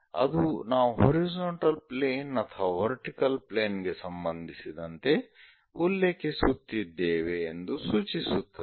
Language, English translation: Kannada, That indicates that with respect to either horizontal plane or vertical plane we are referring